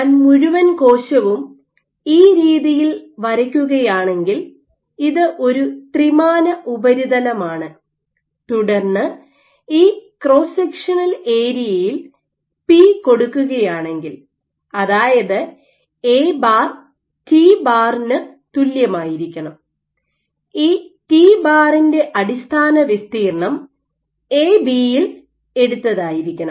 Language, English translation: Malayalam, So, if I were to draw the whole cell in this way, this is a three dimensional surface then p into this cross sectional area; let us say A bar must be equal to t dot this base area A b; A base